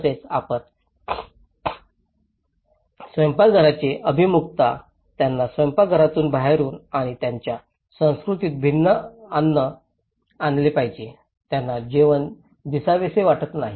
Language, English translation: Marathi, Also the orientation of the kitchens now, they have to carry the food from the kitchen to the outside and in their cultures, they donÃt want the food to be seen